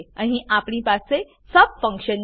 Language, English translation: Gujarati, Here we have sub function